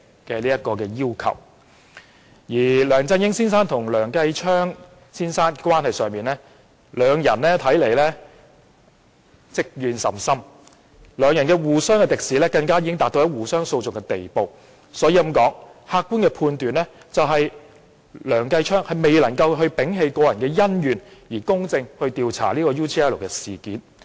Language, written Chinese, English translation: Cantonese, 就梁振英先生和梁繼昌先生的關係而言，兩人似乎積怨甚深，互相敵視已達到互相興訟的程度，所以客觀的判斷是梁繼昌議員難以摒棄個人恩怨而公正地調查 UGL 事件。, As regards the relationship between Mr LEUNG Chun - ying and Mr Kenneth LEUNG it seems that they have longstanding grudges and their animosity is so intense that a legal proceeding is initiated . Hence an objective judgment is that it would be difficult for Mr Kenneth LEUNG to set aside his personal grudges for a fair inquiry of the UGL incident